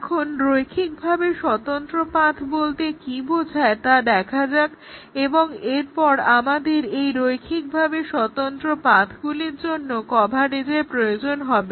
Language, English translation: Bengali, So, let us look at what is a linearly independent set up path and then we will require coverage of this linearly independent set up paths